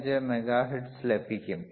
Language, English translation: Malayalam, 125 mega hertz excellent